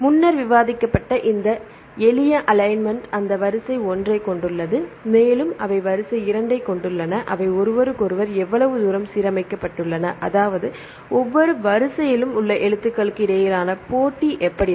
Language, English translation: Tamil, This simple alignment as a discussed earlier just have that sequence 1 and you have sequence 2 right just how far they are aligned with each other; that means, what is a how about the match between the characters in each sequence